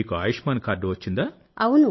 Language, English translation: Telugu, So you had got an Ayushman card